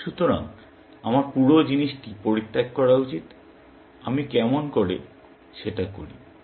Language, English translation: Bengali, So, I should abandon the whole thing; how do I do that